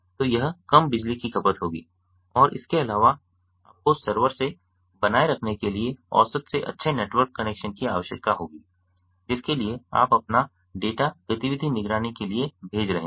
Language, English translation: Hindi, so this will be low power consuming and additional you will required and average to good network connection maintain with the server to which you are sending your data for activity monitoring